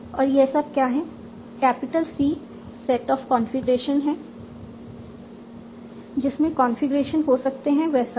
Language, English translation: Hindi, Capital C is a set of configurations, all the configurations that are possible